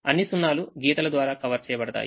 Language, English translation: Telugu, all the zeros will be covered by lines